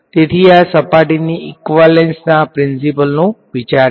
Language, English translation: Gujarati, So, that is the idea behind the surface equivalence principle ok